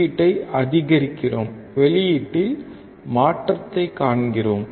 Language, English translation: Tamil, We increase the input; we see change in output